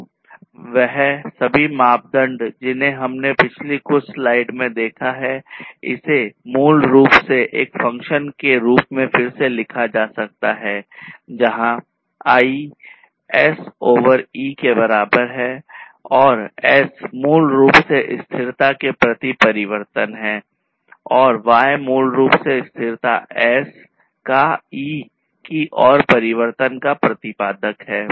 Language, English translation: Hindi, So, all these parameters that we have seen in the previous slide and so, this basically can be again rewritten as a function of all these is and where I equal to S over E and S is basically the change towards the sustainability and Y is basically the exponent of the change towards sustainability S of E